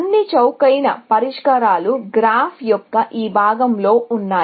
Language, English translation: Telugu, All the cheapest solutions are on this part of the graph